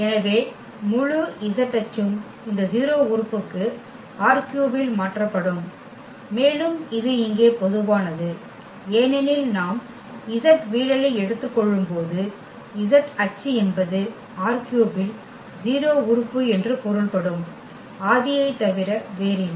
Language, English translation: Tamil, So, the whole z axis will be mapped to this 0 element in R 3 and that is natural here because the z axis when we take the projection of the z axis is nothing but the origin that is means a 0 element in R 3